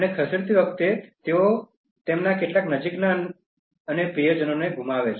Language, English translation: Gujarati, And while moving they will lose some of their near and dear ones